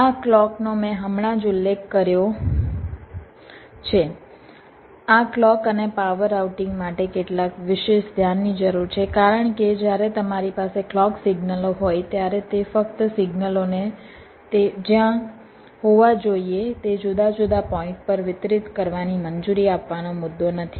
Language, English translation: Gujarati, ok, ah, this clock i have just mentioned earlier, this clock and power routing, requires some special attention because when you have the clock signals, it is not just the issue of just allowing the signals to be distributed to the different points were should be